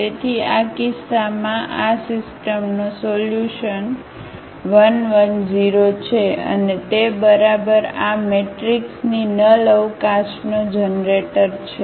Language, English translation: Gujarati, So, in this case the solution of this system is alpha times 1 1 0 and that is exactly the generator of the null space of this matrix